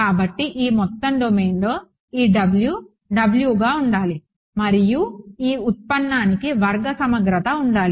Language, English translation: Telugu, So, over this entire domain this W should be W and this derivative should be square integrable right